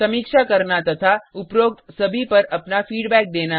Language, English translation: Hindi, To review and give your feedback on all of the above